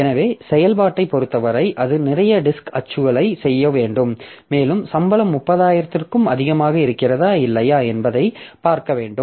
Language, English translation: Tamil, So, that way as far as the operation is concerned, it has to do lot of disk access and it has to see like if the salary is more than 30,000 or not